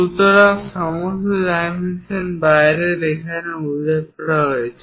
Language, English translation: Bengali, So, all the dimensions are mentioned here on the outside